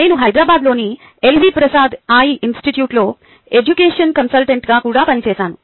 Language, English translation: Telugu, i also worked as an education consultant ah at l v prasad eye institute in hyderabad